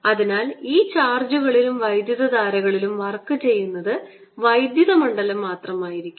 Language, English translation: Malayalam, so the only work that is done on these charges and currents is by the electric field